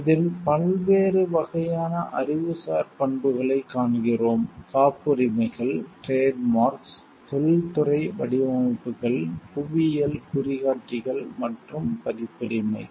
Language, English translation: Tamil, In this we see the different types of intellectual properties; patents, trademarks, industrial designs, geographical indicators and copyrights